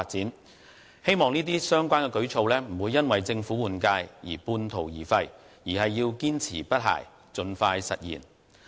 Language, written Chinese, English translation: Cantonese, 我希望這些相關舉措，不會因為政府換屆而半途而廢，而是要堅持不懈，盡快實現。, I hope that these measures will not be left unfinished due to the change of government and that the Government will persevere with these measures and implement them as soon as feasible